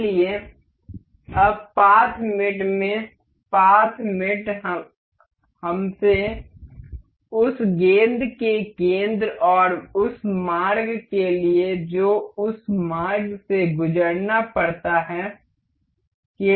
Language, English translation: Hindi, So, now, in path mate, the path mate ask us to for the vertex that is center of this ball and the path that it has to travel along